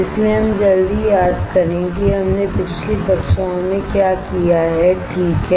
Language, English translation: Hindi, So, let us quickly recall what we have done in the previous classes, right